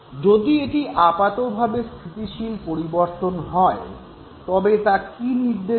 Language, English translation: Bengali, So, if it is a relatively stable change, what should it lead to